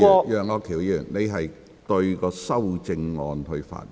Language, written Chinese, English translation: Cantonese, 楊岳橋議員，你應針對修正案發言。, Mr Alvin YEUNG you should speak on the amendment